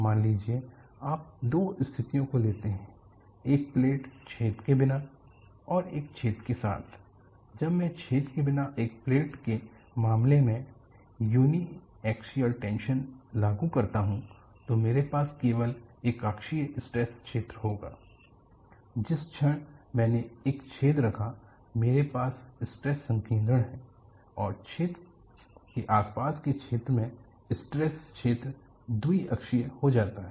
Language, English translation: Hindi, Suppose you take two situations: one plate without a hole, and another plate with the hole; when I apply uniaxial tension in the case of a plate without a hole,I would have only uniaxial stress field; the moment I put a hole, I have stress concentration, and in the vicinity of the hole,the stress filed becomes bi axial